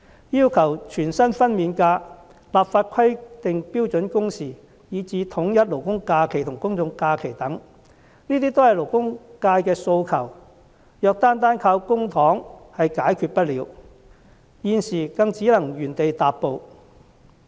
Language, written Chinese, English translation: Cantonese, 要求全薪的產假、立法規定標準工時，以至統一勞工假期和公眾假期等，這些都是勞工界的訴求，如果單單靠公帑是解決不了的，現時便只能原地踏步。, Full - pay maternity leave legislation on standard working hours and the alignment of statutory holidays with general holidays are the aspirations of the labour sector . The solution of these issues cannot entirely rely on public coffers otherwise we will make no progress at all